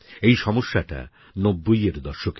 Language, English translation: Bengali, This problem pertains to the 90s